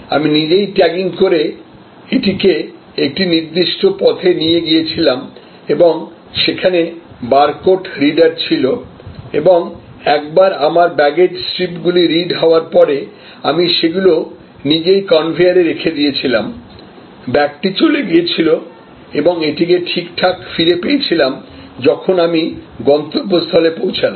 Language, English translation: Bengali, And I did my tagging myself and I took it to a particular route and there were barcode readers and once my baggage strips were read, I put them on the conveyor myself and the baggage was gone and I got it back perfectly ok, when I reach my destination later on